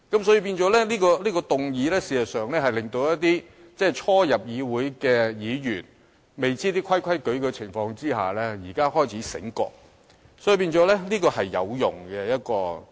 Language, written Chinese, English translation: Cantonese, 所以，謝偉俊議員這項議案事實上是令一些初入議會的議員，在他們仍然不知道規矩的情況下，現在開始醒覺了，因此這項議案是有用的。, Therefore this motion moved by Mr Paul TSE is actually waking up those Members who are new to the legislature and do not know the rules . For this reason this motion is useful